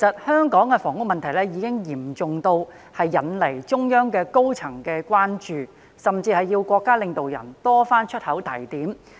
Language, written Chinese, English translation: Cantonese, 香港的房屋問題嚴重，不但引起中央高層的關注，甚至要國家領導人多次開口提點。, The serious housing problem in Hong Kong has not only aroused concern of the top echelons of the Central Authorities but has also prompted our national leaders to voice their opinions time and again